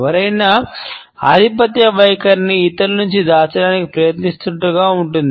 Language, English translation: Telugu, It is as if somebody is trying to hide the dominant attitude from others